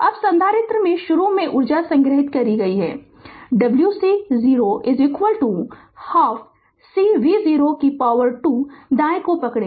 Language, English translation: Hindi, Now, stored energy in the capacitor initially that w c 0 is equal to half C V 0 square right just hold on